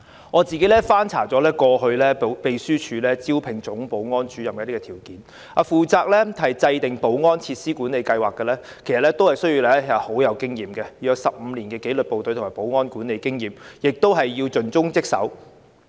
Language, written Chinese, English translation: Cantonese, 我曾翻查過去秘書處招聘總保安主任的條件，包括負責制訂保安設施管理計劃的員工需要具備15年紀律部隊及保安管理經驗，以及要盡忠職守。, I have checked the past recruitment advertisement of the Secretariat for the recruitment requirements of the Chief Security Officer . He is required to formulate management plan for security facilities and he should possess at least 15 - year experience in any disciplined forces and security administration and he is required to perform his duties dutifully